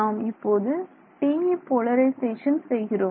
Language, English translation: Tamil, So, far we spoke about TE polarization